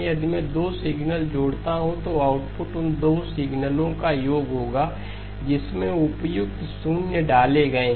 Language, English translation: Hindi, If I add 2 signals, the output will be the sum of those 2 signals with the appropriate zeros inserted